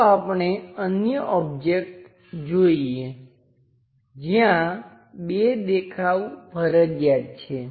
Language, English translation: Gujarati, Let us look at other objects where two views are compulsory